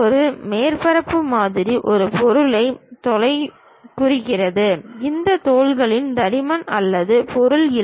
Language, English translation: Tamil, A surface model represents skin of an object, these skins have no thickness or the material